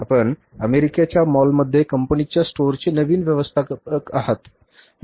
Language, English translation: Marathi, You are the new manager of the company's store in the mall of America